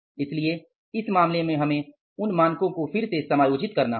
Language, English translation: Hindi, So, in this case, we are to readjust the standards